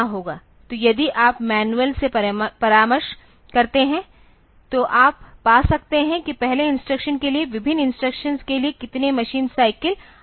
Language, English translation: Hindi, So, if you consult the manual then you can find that the machine cycles needed for various instructions for the first instruction